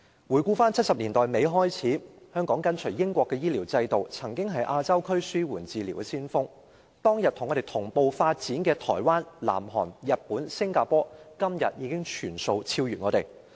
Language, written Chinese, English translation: Cantonese, 回顧自1970年代末，香港跟隨英國的醫療制度，曾是亞洲區紓緩治療的先鋒，但當天和我們同步發展的台灣、南韓、日本和新加坡，今天已全部超越我們。, Back then having followed the British health care system since the late 1970s Hong Kong was once the pioneer of palliative care in Asia . However Taiwan South Korea Japan and Singapore which started such development at the same time we did have all surpassed us today